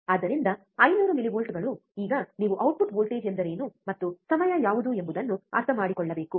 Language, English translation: Kannada, So, 500 millivolts now you have to understand what is the output voltage and what is a time